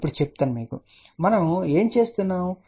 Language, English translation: Telugu, Now just to tell you, so what are we doing